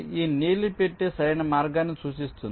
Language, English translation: Telugu, this blue box indicates the path